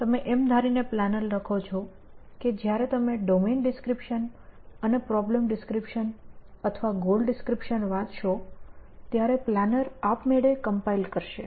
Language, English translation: Gujarati, You would write the planner assuming that, you would read a domain description and a problem description or goal description and the planner would automatically compile and run essentially